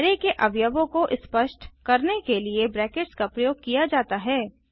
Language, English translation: Hindi, The braces are used to specify the elements of the array